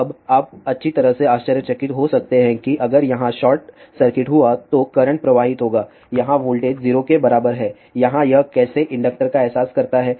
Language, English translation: Hindi, Now, you might wonder well if there is a short circuit over here current will be flowing through here voltage is equal to 0 here how does it realize inductor